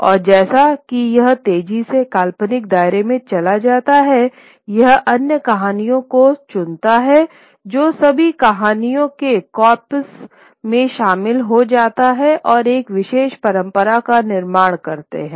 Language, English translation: Hindi, And as it moves rapidly into the realm of the fictitious, it picks on other stories which get incorporated into the corpus of all the stories that constitute a particular tradition